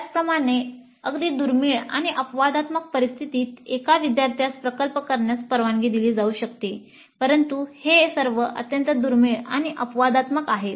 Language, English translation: Marathi, Similarly in a very rare and exceptional situations, a single student may be allowed to do a project but these are all very rare and exceptional